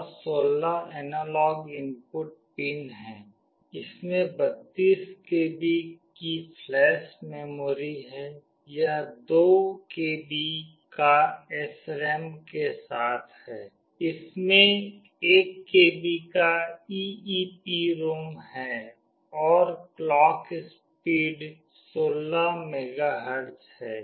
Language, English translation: Hindi, And there are 16 analog input pin, it has a flash memory of 32 KB, it provides SRAM of 2 KB, it has got an EEPROM of 1 KB, and the clock speed is 16 MHz